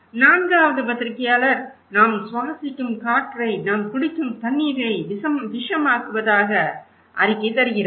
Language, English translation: Tamil, Journalist 4 is reporting poisoning the air we breathe, the water we drink